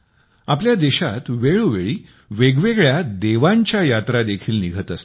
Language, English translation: Marathi, In our country, from time to time, different Devyatras also take place